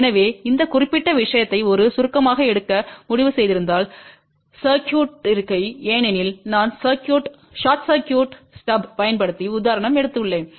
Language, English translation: Tamil, So, if you have decided to take this particular thing as a short circuited because I have taken example using short circuited stub